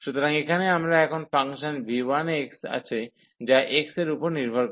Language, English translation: Bengali, So, here we have now function v 1, which depends on x